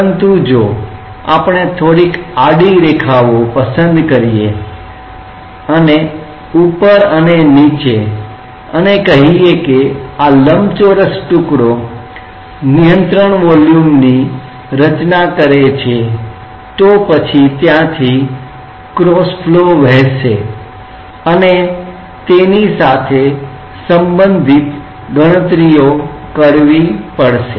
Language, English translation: Gujarati, But if we just take say some horizontal lines and the top and bottom and constitutes say a rectangular piece as the control volume then there will flow across that one has to make calculations related to that